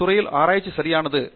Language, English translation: Tamil, Research in that field is over, right